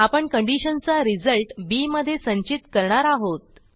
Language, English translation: Marathi, We shall store the result of our condition in b